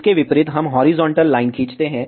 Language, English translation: Hindi, Correspondingly, we draw the horizontal line